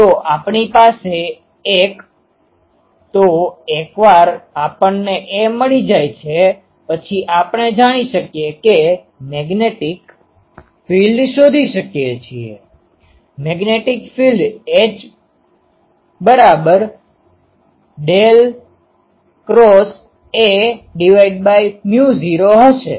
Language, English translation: Gujarati, So, we have got a; so, once we got a we can we know we can find the magnetic field; magnetic field will be 1 by mu naught del cross A